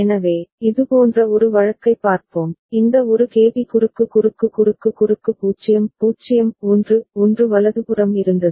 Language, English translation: Tamil, So, let us see one such case, where we had this one KB cross cross cross cross 0 0 1 1 right